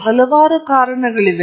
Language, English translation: Kannada, There are several reasons